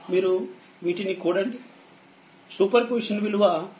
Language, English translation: Telugu, You just add it super position 8